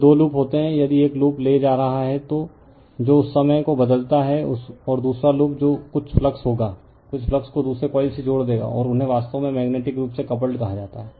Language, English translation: Hindi, Then two loops are there, if one loop is carrying that your what you call that time varying current, and another loop that some flux will be it will links some flux to the other coil right, and they are said to be actually magnetically coupled